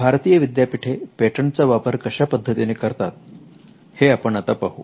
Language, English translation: Marathi, Let us look at how Indian universities have been using Patents